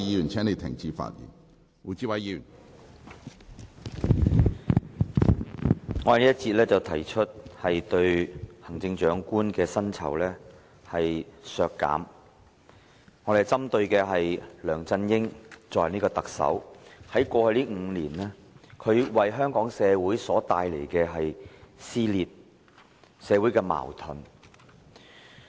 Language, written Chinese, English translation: Cantonese, 我在這一節發言提出削減行政長官的薪酬，我針對的是梁振英作為特首在過去5年為香港社會帶來的撕裂和矛盾。, In this session I will speak on the proposal for cutting the remuneration of the Chief Executive . My focus will be on the dissension and conflicts LEUNG Chun - ying brought to Hong Kong society in the past five years in his capacity as the Chief Executive